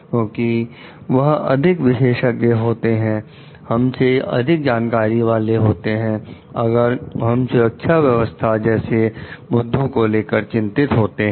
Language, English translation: Hindi, Because they are more expert, more knowledgeable than us as per the safety issues, health issues are concerned